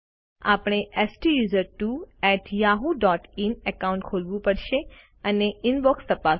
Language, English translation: Gujarati, We have to open the STUSERTWO@yahoo.in account and check the Inbox